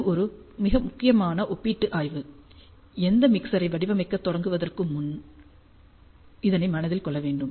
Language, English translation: Tamil, So, this is a very important comparative study that has to be kept in mind before we start designing any mixer